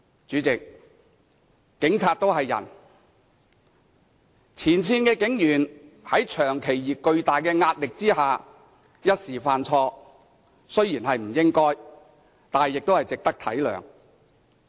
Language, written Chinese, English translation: Cantonese, 主席，警察也是人，前線警員在長期而巨大的壓力下一時犯錯，雖然是不應該，但也值得體諒。, President the cops are human beings too . When frontline police officers who consistently worked under enormous pressure committed a mistake on the spur of the moment they should be forgiven even though they should not have done what they did